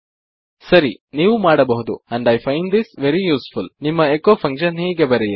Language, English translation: Kannada, Right, you can – and I find this very useful – write your echo function like this